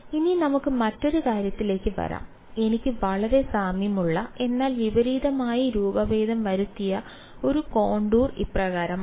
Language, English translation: Malayalam, Now let us come to the other case; the other case is case b where I have a very similar, but a oppositely deform contour this is how it is